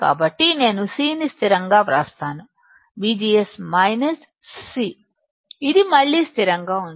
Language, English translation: Telugu, So, I will write C as a constant, V G S minus C which is again a constant